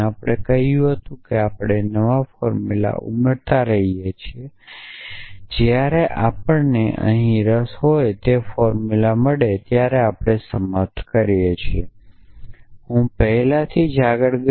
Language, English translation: Gujarati, We said that we keep adding new formulas and we terminate when we find the formula that we interested in here I already jumped ahead